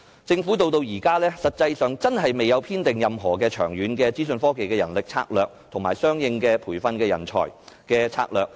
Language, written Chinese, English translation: Cantonese, 政府至今實際上未有制訂任何長遠的資訊科技人力資源策略，以及相應的培訓人才策略。, In fact the Government has not formulated any long - term human resources strategy for IT and a corresponding manpower training strategy